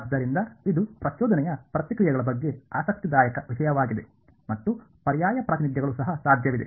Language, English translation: Kannada, So, now turns out this is an interesting thing about impulse responses and there are Alternate Representations also possible ok